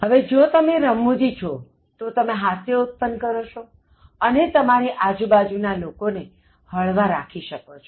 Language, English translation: Gujarati, Now, when you are humourous, you provoke laughter and make everybody around you relax